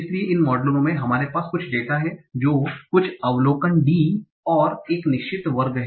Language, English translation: Hindi, So, in these models, we have some data is some observation, D and a certain class